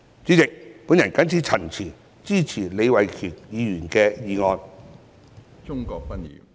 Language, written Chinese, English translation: Cantonese, 主席，我謹此陳辭，支持李慧琼議員的議案。, President with these remarks I support Ms Starry LEEs motion